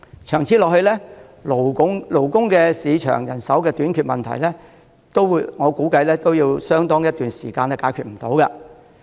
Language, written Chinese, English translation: Cantonese, 長此下去，勞工市場人手短缺的問題，我估計相當一段時間也解決不到。, If the situation continues I expect that manpower shortage in the labour market will remain unresolved for a very long time